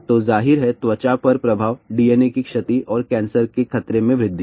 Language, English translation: Hindi, So, there is of course, an effect on the skin DNA damage and increase in cancer risk